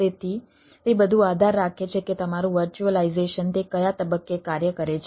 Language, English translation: Gujarati, so it all depends that your virtualization, at which point it operates